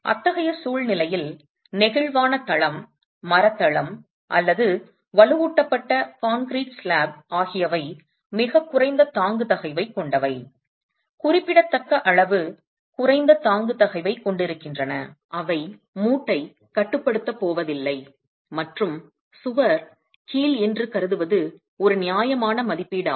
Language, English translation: Tamil, In such a situation the flexible flexible floor, the timber floor or a reinforced concrete slab which has very little bearing stress, significantly low bearing stress, is not going to restrain the joint and assuming that the wall is hinged is a reasonable estimate